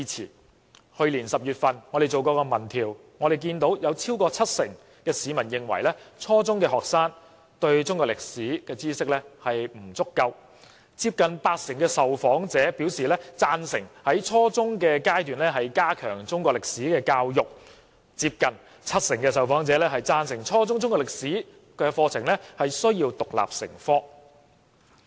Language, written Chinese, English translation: Cantonese, 在去年10月，我們曾進行民意調查，有超過七成市民認為初中學生對中國歷史知識不足夠，接近八成受訪者贊成在初中階段加強中國歷史教育，又有接近七成受訪者贊成初中中國歷史課程要獨立成科。, According to a public opinion survey we conducted in October last year more than 70 % of the respondents considered that junior secondary students lacked a good knowledge of Chinese history and nearly 80 % of them supported the strengthening of Chinese history education at junior secondary level . Moreover nearly 70 % of the respondents supported the teaching of Chinese history curriculum as an independent subject at junior secondary level